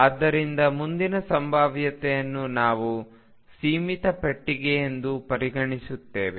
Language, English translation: Kannada, So, the next potential we consider as a finite box